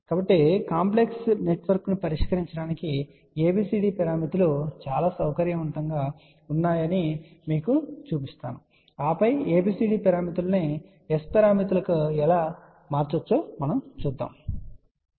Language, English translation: Telugu, So, I am going to show you how ABCD parameters are very convenient to solve a complex network, and then we will talk about how ABCD parameters can be converted to S parameters